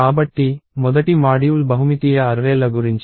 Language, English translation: Telugu, So, the first module is about multidimensional arrays